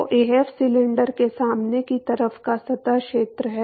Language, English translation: Hindi, So, Af is the surface area of the front side of the cylinder